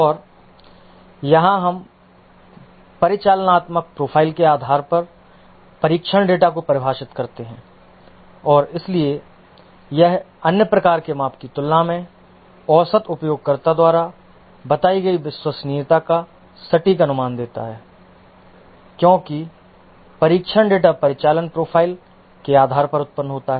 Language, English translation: Hindi, And here we define the test data based on the operational profile and therefore it gives an accurate estimation of the reliability as perceived by the average user compared to the other type of measurement because the test data is generated based on the operational profile